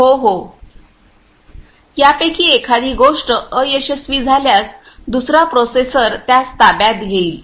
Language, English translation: Marathi, If one of these fails the other processor will take over it